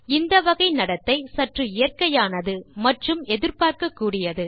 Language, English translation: Tamil, Moreover this type of behavior is something that feels natural and youd expect to happen